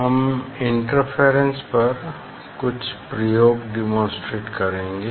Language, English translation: Hindi, we will demonstrate some experiment on interference